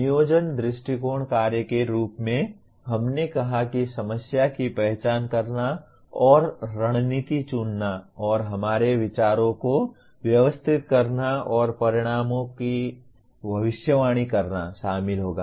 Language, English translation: Hindi, The planning approaches to task as we said that will involve identifying the problem and choosing strategies and organizing our thoughts and predicting the outcomes